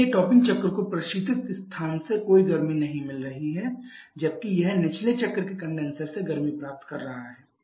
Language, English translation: Hindi, So, the topping cycle is not receiving any heat from the refrigerated space whether it is receiving heat only from the condenser of the bottoming cycle